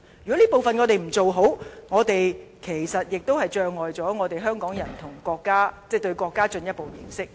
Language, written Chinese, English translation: Cantonese, 如果我們不做好這方面的工作，其實亦都阻礙了香港人進一步認識國家。, Failure to deal with these issues are in fact detrimental to Hong Kong peoples further understanding of the nation